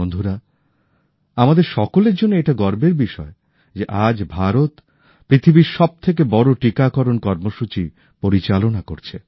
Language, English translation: Bengali, Friends, it's a matter of honour for everyone that today, India is running the world's largest vaccination programme